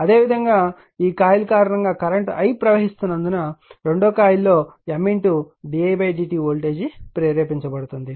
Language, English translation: Telugu, Similarly because of this coilthat current I is flowing a voltage will be induced in just 2 coil M d i by d t